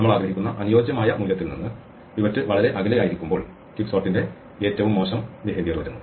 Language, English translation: Malayalam, The worst case behavior of quicksort comes when the pivot is very far from the ideal value we want